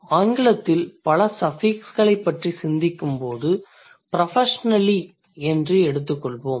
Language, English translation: Tamil, So, when I think about multiple suffixes in English, I would find out a word like professionally